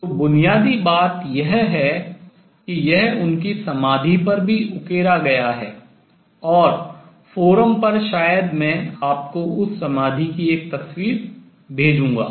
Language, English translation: Hindi, So, fundamental that it is also engraved on his tombstone and over the forum maybe I will send you a picture of that tombstone